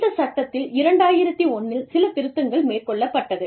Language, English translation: Tamil, Then, there are some amendments to this act, that were made in 2001